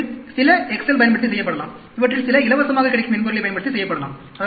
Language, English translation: Tamil, Some of these could be done using excel; some of these could be done using freely available software